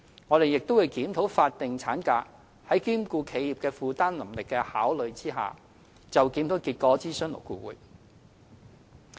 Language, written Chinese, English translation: Cantonese, 我們亦正檢討法定產假，在兼顧企業負擔能力下，就檢討結果諮詢勞工顧問委員會。, The statutory maternity leave is now under review and the result having regard to the affordability of enterprises will be submitted to the Labour Advisory Board for consultation